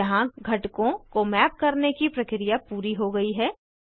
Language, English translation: Hindi, Here the process of mapping the components is complete